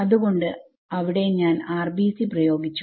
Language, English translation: Malayalam, So, that is the place where I apply the RBC